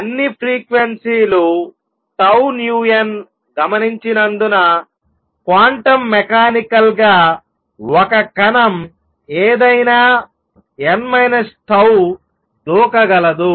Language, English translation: Telugu, Since all the frequencies tau nu n are observed right; that means, quantum mechanically a particle can jump to any n minus tau